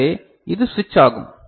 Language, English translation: Tamil, So, this will be ON